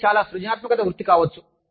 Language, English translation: Telugu, It can be, a very creative profession